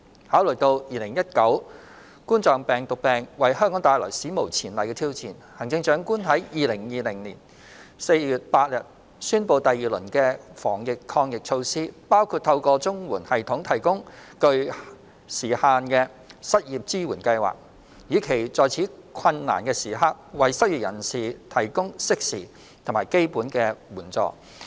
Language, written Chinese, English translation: Cantonese, 考慮到2019冠狀病毒病為香港帶來史無前例的挑戰，行政長官在2020年4月8日宣布第二輪的防疫抗疫措施，包括透過綜援系統提供具限時性的失業支援計劃，以期在此困難時刻為失業人士提供適時和基本的援助。, Having considered the unprecedented challenges posed by the coronavirus disease 2019 COVID - 19 in Hong Kong the Chief Executive announced on 8 April 2020 the second round of anti - epidemic measures including the provision of a time - limited unemployment support scheme through the CSSA system with a view to providing timely and basic assistance to the unemployed during this difficult time